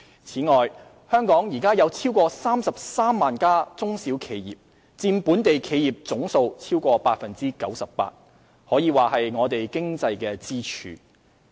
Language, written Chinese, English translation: Cantonese, 此外，香港現時有超過33萬家中小企業，佔本地企業總數逾 98%， 可說是我們經濟的支柱。, Moreover there are over 330 000 small and medium enterprises SMEs in Hong Kong at present which constitute over 98 % of the total number of local business establishments . They may be regarded as our major economic pillar